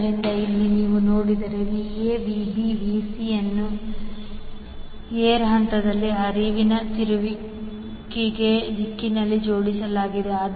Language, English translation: Kannada, So, here if you see Va Vb Vc are arranged in, in the direction of the rotation of the air gap flux